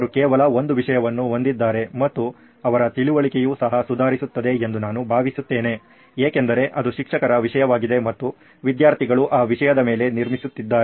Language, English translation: Kannada, He has just one content that he needs to go through and I think his understanding will also improve because the base is the teacher's content and students are building upon that content